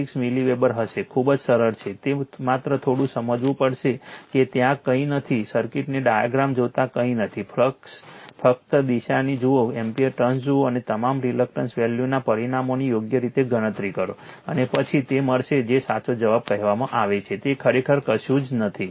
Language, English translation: Gujarati, 646 milliweber, very simple it is only you have to understand little bit right nothing is there, looking at the diagram circuit nothing is there just see the direction of the flux see the ampere turns and calculate all the reluctances value dimensions correctly right and then you will get your what you call the correct answer right nothing is there actually right